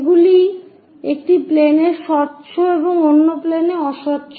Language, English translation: Bengali, These are transparent in one of the planes and opaque on other planes